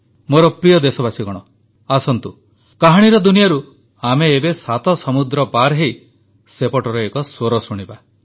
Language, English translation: Odia, My dear countrymen, come, let us now travel across the seven seas from the world of stories, listen to this voice